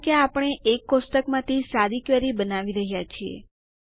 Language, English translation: Gujarati, This is because we are creating a simple query from a single table